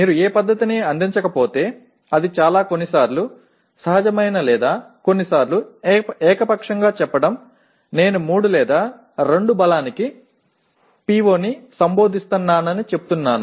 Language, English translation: Telugu, If you do not provide any method it is very very sometimes either intuitive or sometimes even arbitrary saying that I just merely say I address a PO to the strength of 3 or 2 like that